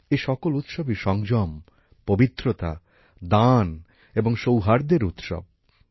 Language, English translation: Bengali, All these festivals are festivals of restraint, purity, charity and harmony